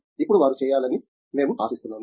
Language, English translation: Telugu, Now, what we expect them to do